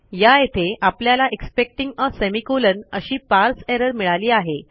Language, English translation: Marathi, We have got a parse error here expecting a semicolon